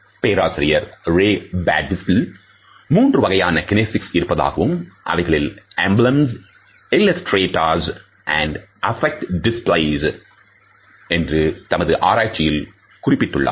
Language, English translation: Tamil, Professor Ray Birdwhistell had suggested that there are three types of kinesics, and he has listed emblems, illustrators and affect displays in his research work